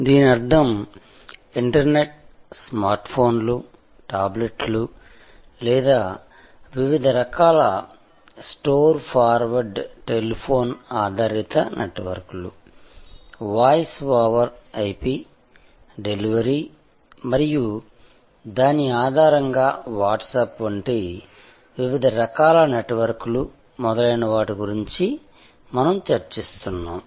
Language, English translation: Telugu, That means internet delivered over smart phones, other devices like tablets or different kind of store forward telephone based networks, voice over IP, which we were discussing and based on that, different types of networks like Whatsapp, etc